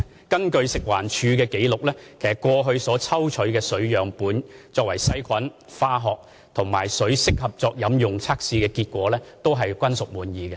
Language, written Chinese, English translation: Cantonese, 根據食環署的紀錄，過去抽取的水樣本經過細菌、化學及適合作飲用的測試，結果均屬滿意。, According to the FEHD records samples of water taken in the past have undergone bacterial chemical and consumption suitability tests and the results have been satisfactory